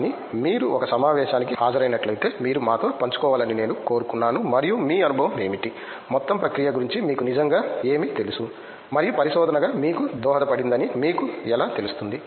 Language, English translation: Telugu, So, I just wanted to wanted you to share with us if you have been to a conference and what was your experience what did you really you know feel about the whole process and how you think it has you know contributed to you as a research